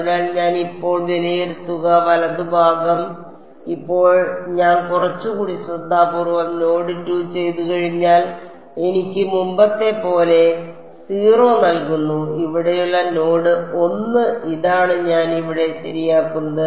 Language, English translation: Malayalam, So, the right hand side which I evaluate now which now that I have done a little bit more carefully node 2 still gives me 0 as before and node 1 over here this is what I will replace over here ok